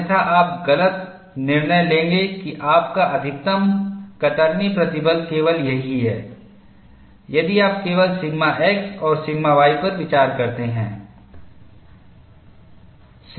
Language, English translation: Hindi, Otherwise, you would make a wrong judgment that your maximum shear stress is only this, if you consider only sigma x and sigma y